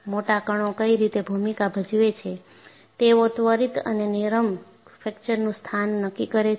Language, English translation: Gujarati, And what way the large particles play a role is, they determine the instant and location of ductile fracture